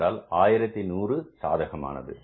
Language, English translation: Tamil, So, this is 1100 favorable